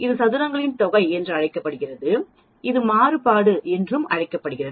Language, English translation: Tamil, This is called sum of squares and this is also called variance